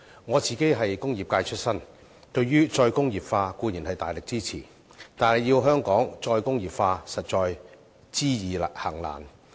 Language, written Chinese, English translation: Cantonese, 我是工業界出身，對於"再工業化"'固然大力支持。但要香港"再工業化"，實在知易行難。, I started out as a member of the industrial sector and certainly I would throw great weight behind re - industrialization but in Hong Kong re - industrialization is indeed easier said than done